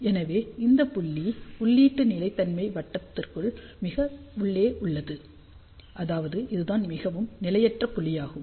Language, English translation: Tamil, So, this is the point, which is deep inside the input stability circle that means, this is the most unstable point